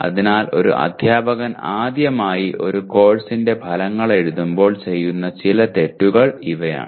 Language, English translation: Malayalam, So these are some of the errors that a teacher when especially for the first time writing outcomes for a course are likely to commit